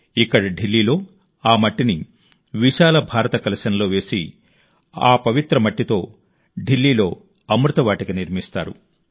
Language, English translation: Telugu, Here in Delhi, that soil will be put in an enormous Bharat Kalash and with this sacred soil, 'Amrit Vatika' will be built in Delhi